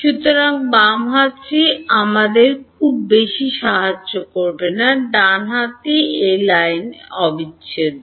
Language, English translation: Bengali, So, the left hand side is not going to help us very much, the right hand side is a line integral